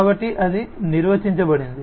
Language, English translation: Telugu, So, that is what is defined